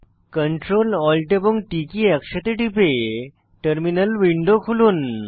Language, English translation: Bengali, Open the terminal by pressing Ctrl, Alt and T keys simultaneously